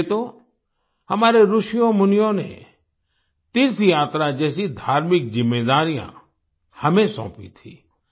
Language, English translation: Hindi, That is why our sages and saints had entrusted us with spiritual responsibilities like pilgrimage